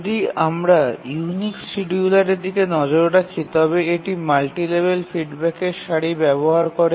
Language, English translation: Bengali, If we look at the unique scheduler, it uses a multi level feedback queue